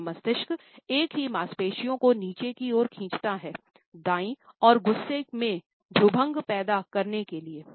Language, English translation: Hindi, Well, the left brain pulls the same muscles downwards, on the right side to produce an angry frown